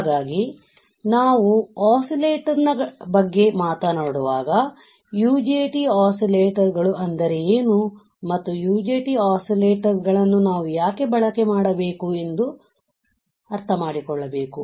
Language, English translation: Kannada, So, when we talk about UJT oscillators, we have to understand; what are uni junction transistors and why we had to use UJT oscillators